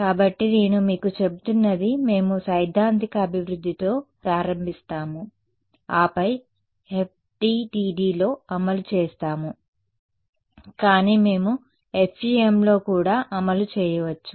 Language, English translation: Telugu, So, what I am telling you we will start with the theoretical development then implementation in FDTD, but we could also implement in FEM right